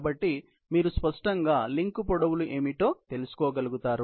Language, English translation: Telugu, So, you can obviously, be able to find out what are the link lengths